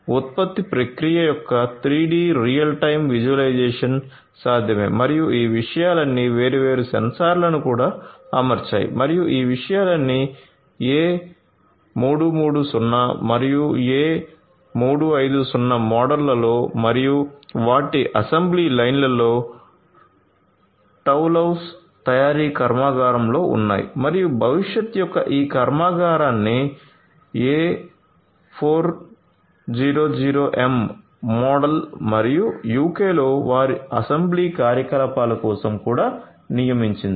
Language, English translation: Telugu, So, 3D real time visualization of the production process is possible and all of these things are also deployed different sensors and all of these things are deployed on the A330 and A350 models and their assembly lines which are there in the Toulouse manufacturing plant in plants and they have also deployed you know this factory of the future for the A400M model and their assembly operations in the UK